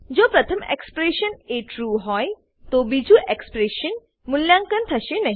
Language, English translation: Gujarati, Since the first expression is true , second expression will not be evaluated